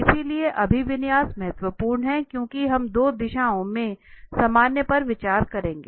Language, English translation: Hindi, So, orientation is important because we will be considering the normal in two directions